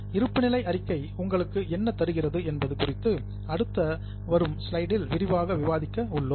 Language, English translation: Tamil, We are going to discuss in detail in coming slides as to what does the balance sheet give you